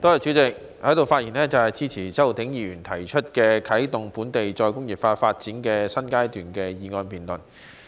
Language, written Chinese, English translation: Cantonese, 主席，我在此發言支持周浩鼎議員提出"啟動本港再工業化發展的新階段"的議案辯論。, President I rise to speak in support of the motion debate on Commencing a new phase in Hong Kongs development of re - industrialization proposed by Mr Holden CHOW